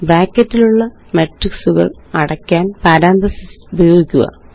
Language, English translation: Malayalam, Use parentheses to enclose the matrix in brackets